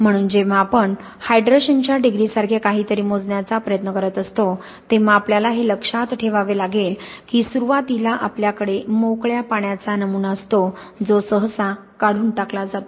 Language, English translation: Marathi, So when we are trying to calculate something like degree of hydration, we have to be aware that at the beginning we have a sample with free water which is usually removed